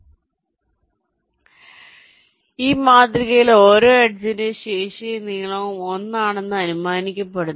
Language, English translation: Malayalam, so in this model the capacity and the length of each edge is assume to be one